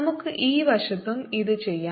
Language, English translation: Malayalam, let's do it on this side also